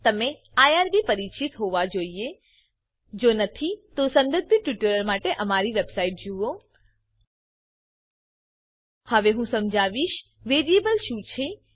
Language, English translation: Gujarati, You must also be familiar with irb If not, for relevant tutorials, please visit our website Now I will explain what a variable is